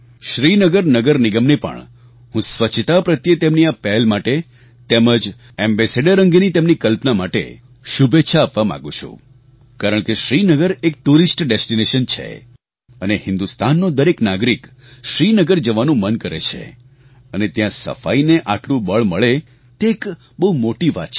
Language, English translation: Gujarati, I congratulate Srinagar Municipal Corporation for taking this initiative towards sanitation and for their imagination to appoint an ambassador for this cause of cleanliness because Srinagar is a tourist destination and every Indian wants to go there; and if such attention is given to Cleanliness it is a very big achievement in itself